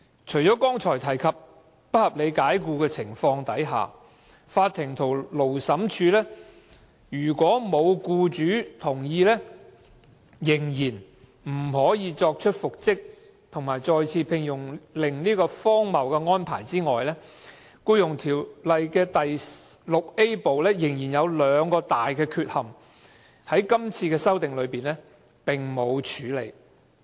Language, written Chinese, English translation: Cantonese, 除了剛才提及在不合理解僱的情況下，如果沒有取得僱主同意，法庭和勞審處仍然不可作出復職和再次聘用的命令這荒謬安排外，《條例》第 VIA 部仍然有兩大缺憾，在今次的法例修訂中未獲處理。, Apart from the ridiculous arrangement mentioned just now that without the agreement of the employer the court or Labour Tribunal cannot make an order for reinstatement or re - engagement in respect of an unreasonable dismissal there are two other big defects in Part VIA of the Ordinance that have not addressed in this legislative amendment exercise